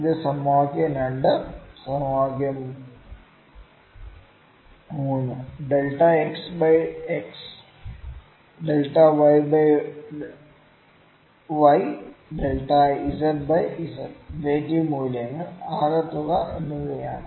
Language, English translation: Malayalam, This is equation 2 equation 3 would be delta x by x delta y by y delta z by z, absolute values and sum of this